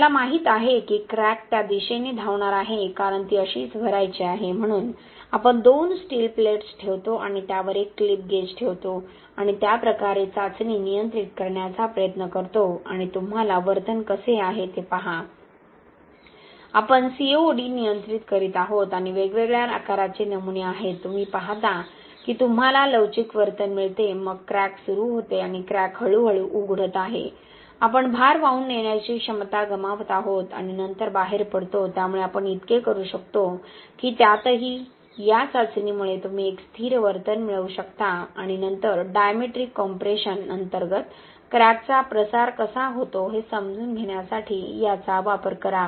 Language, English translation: Marathi, We know that the crack is going to run like this because that is how it has to fill, so we put this two steel plates and put a clip gauge across this and try to control the test that way and you see how the behaviour is, so this is what we are controlling and these are different sizes of specimens, you see that you get this elastic behaviour, then the crack starts and the crack is slowly opening, we are losing load carrying capacity and then flats out, so we could so that even in this test you could obtain a stable behaviour and then use this to understand how a crack is propagating under diametric compression